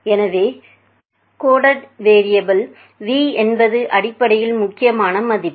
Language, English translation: Tamil, So, that the coded variable v is basically the main value